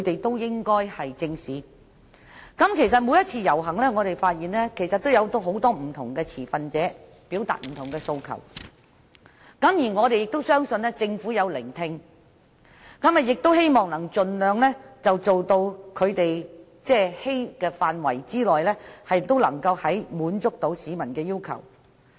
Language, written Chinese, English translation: Cantonese, 事實上，我們發現每一次遊行都有很多不同持份者表達不同訴求，而我們亦相信政府有聆聽，亦希望能盡量在能力範圍內滿足市民的要求。, Actually we have noticed that different requests are put forward by various stakeholders in every protest . We believe that the Government has listened to them and tried to meet peoples demands where feasible